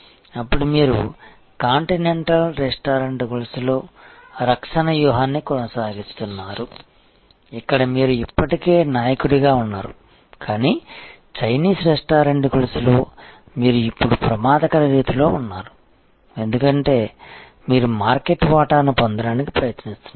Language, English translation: Telugu, Then, you are maintaining a defensive strategy in the continental restaurant chain, where you are already a leader, but in the Chinese restaurant chain you are actually, now in an offensive mode, because you are trying to acquire market share